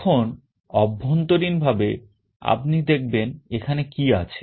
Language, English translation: Bengali, Now, internally you see what it is there